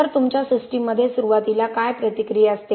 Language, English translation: Marathi, So what is mostly reacting in your system initially